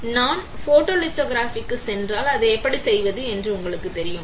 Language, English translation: Tamil, Now if I go for photolithography, which is you know how to do right